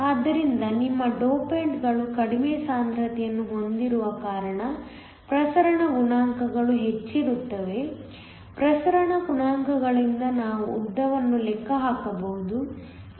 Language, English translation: Kannada, So, because you have less concentration of your dopants the diffusion coefficients are higher from the diffusion coefficients we can calculate the length